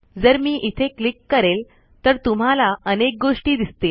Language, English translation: Marathi, So if I click this, you will see lots of different things